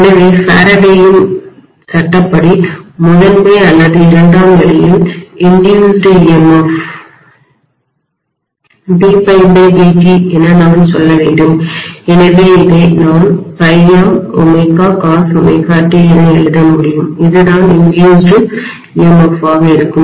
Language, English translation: Tamil, So I can say by Faraday’s law the induced emf in the primary or secondary will be d phi by dt, so I can write this as phi m omega cos omega t, this is what is going to be the induced emf